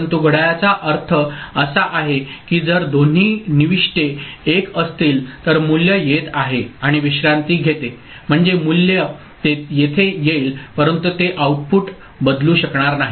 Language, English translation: Marathi, But the clock I mean if the both the inputs are 1 so, the value will be coming and resting I mean, value will be coming here, but it will not be able to change the output